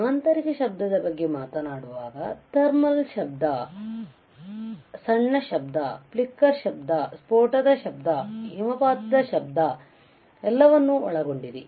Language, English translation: Kannada, When we talk about internal noise, there are thermal noise, short noise, flicker noise, burst noise and avalanche noise all right